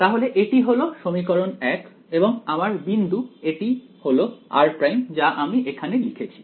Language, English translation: Bengali, So, this is equation 1 this is my and my point here r prime I have put over here